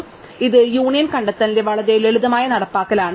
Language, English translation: Malayalam, So, this is a very simple implementation of union find